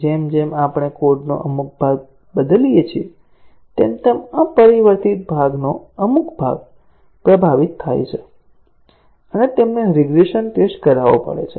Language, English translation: Gujarati, As we change some part of the code, then, some part of the unchanged code gets affected and they have to be regression tested